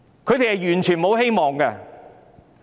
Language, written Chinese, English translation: Cantonese, 年輕人完全沒有希望。, Young people have no hope at all